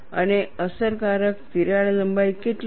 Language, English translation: Gujarati, And what is the effective crack length